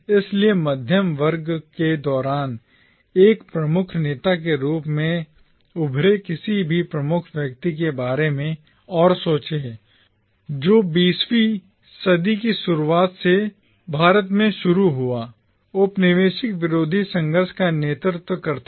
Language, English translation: Hindi, So, just try and think of any major figure who emerged as a leader during the middle class led anti colonial struggle that started in India from the early 20th century